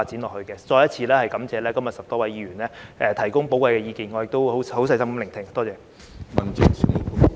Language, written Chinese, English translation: Cantonese, 我再次感謝今天10多位議員提供寶貴意見，我亦已細心聆聽，多謝。, I would like to thank the 10 - odd Members again for their valuable opinions today and I have listened to them carefully . Thank you